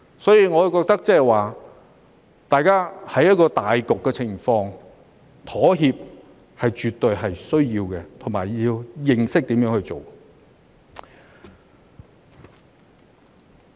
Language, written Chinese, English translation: Cantonese, 所以，我覺得大家在顧全大局的情況下，妥協是絕對需要的，也要懂得如何去做。, This being so I find it absolutely necessary to make compromise when taking the interests of the whole into account and we should know how to do so as well